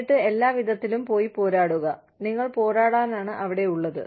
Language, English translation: Malayalam, And then, by all means, go and fight the battle, that you are out there, to fight